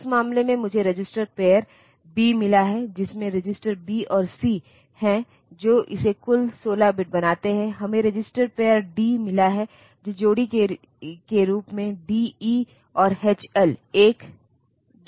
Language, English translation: Hindi, So, in that case I have got register pair B, which consists of the registers B and C making it a total of 16 bit we have got register pair D, making a D making de as a pair and H, H L as a pair